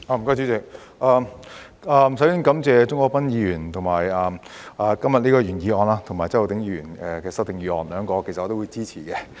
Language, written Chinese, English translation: Cantonese, 代理主席，首先感謝鍾國斌議員今天提出原議案及周浩鼎議員提出修正案，兩項我也會支持。, Deputy President first of all I would like to thank Mr CHUNG Kwok - pan for proposing the original motion today and Mr Holden CHOW for proposing the amendment; I will support both of them